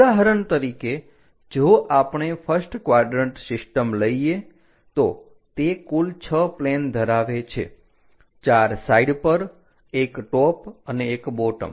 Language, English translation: Gujarati, For example, if we are picking first quadrant system, it consists of in total 6 planes; 4 on the sides top and bottom thing